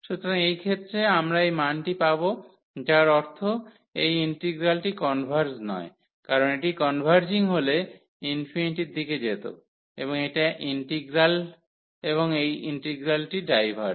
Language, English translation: Bengali, So, in this case we will we get this value I mean this integral does not converge because, this is converging to going to infinity the value and this integral diverges